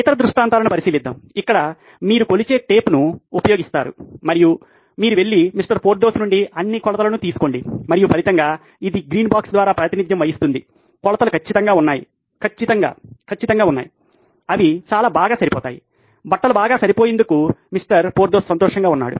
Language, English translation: Telugu, Let’s consider the other scenario, where you do use a measuring tape and you go and take all the measurements from Mr Porthos and as a result this represented by the green box, the measurements are perfect, absolutely perfect, they run very well, Mr